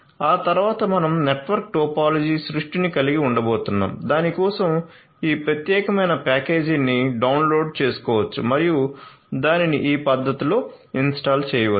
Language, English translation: Telugu, So, thereafter we are going to have the network topology creation for that this particular you know, this particular package can be downloaded and they are after it can be installed it can be installed in this manner